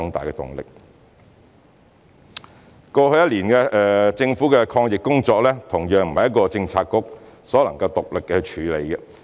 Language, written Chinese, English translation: Cantonese, 政府過去一年多的抗疫工作，同樣不是一個政策局所能獨力處理。, The Governments anti - epidemic work over the past one year or so cannot be handled by a single bureau alone either